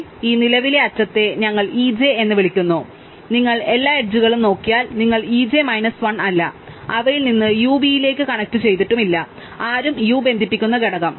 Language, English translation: Malayalam, So, this current edge we are called e j, so if you look at all the edges e 1 to e j minus 1 none of them connected U to V or the component connecting U